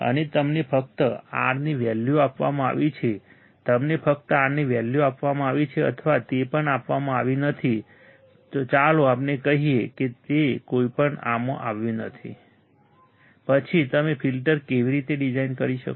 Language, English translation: Gujarati, And you are only given the value of R you are only given a value of R right or that is also not given let us say that is also not given then how can you design the filter right